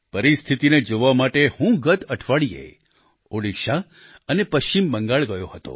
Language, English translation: Gujarati, I went to take stock of the situation last week to Odisha and West Bengal